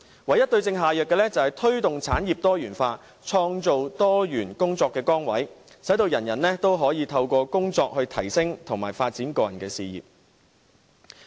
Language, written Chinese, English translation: Cantonese, 唯一對症下藥的方法，是推動產業多元化，創造多元工作崗位，使所有人均可以透過工作來提升和發展個人事業。, The only way to tackle the crux of the matter is to promote diversification of industries and create a diversified range of work positions as a means of enabling everybody to enhance and develop their personal careers through employment